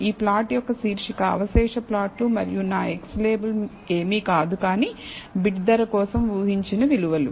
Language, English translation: Telugu, The title for this plot is residual plot and my x label is nothing, but predicted values for bid price